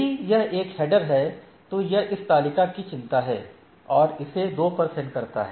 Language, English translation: Hindi, So, given a header value if this one, it concerns this table and forward it to 2